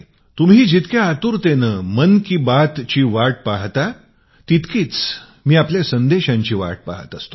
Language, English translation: Marathi, Much as you wait for Mann ki Baat, I await your messages with greater eagerness